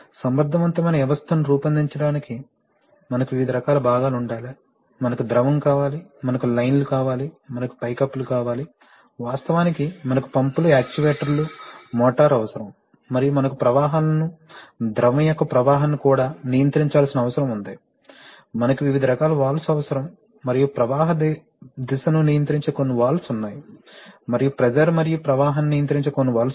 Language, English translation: Telugu, We have also seen that for making an effective system, we need to have various kinds of components, we need the fluid, we need the lines, we need the ceilings, we, of course we need pumps and the actuators, the motor, we also need to control the flows, flow of the fluid, we need various kinds of valves and among the valves, there are some valves which control the direction of flow and there are some valves which control the pressure and the flow